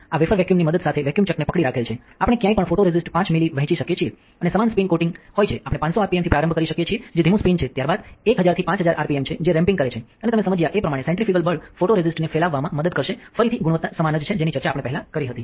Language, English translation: Gujarati, This this wafer is hold to the vacuum chuck with the help of vacuum, we can we can dispense anywhere around 5 ml of photoresist and to have uniform spin spin coating, we can start with 500 rpm which is slow spin followed by 1000 to 5000 rpm which is ramping up and as you understand the centrifugal force will help the photoresist to spread again the quality measures are same which we had discussed earlier